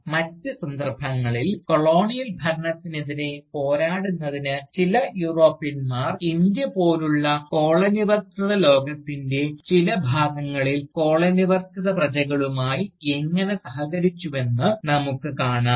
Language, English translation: Malayalam, In other cases, we see, how some Europeans, have collaborated with the Colonised subjects, in parts of the Colonised world like India, to fight the Colonial rule